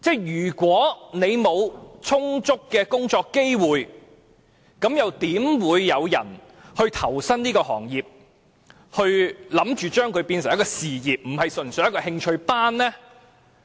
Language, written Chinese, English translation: Cantonese, 如果沒有充足的工作機會，又怎會有人投身這個行業，打算將它變成一個事業，而不是純粹的興趣班呢？, If there are insufficient working opportunities who will join this occupation and plan to turn it into a career instead of taking it purely as an interest class?